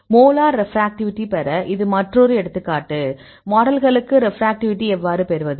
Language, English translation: Tamil, This is another example get the molar refractivity; how to get the model refractivity